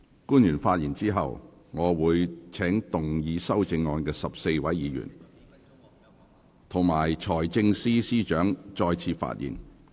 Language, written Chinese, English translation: Cantonese, 官員發言後，我會請動議修正案的14位委員及財政司司長再次發言。, After public officer speaks I will call upon the 14 Members and the Financial Secretary who have proposed amendments to speak again